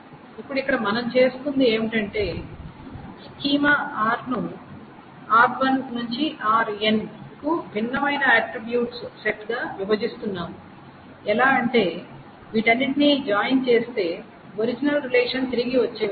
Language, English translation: Telugu, Now here what we are doing is that we are breaking up the schema capital R into different sets of attributes R1 to RN such that the join of all of these together gives back the actual the original relation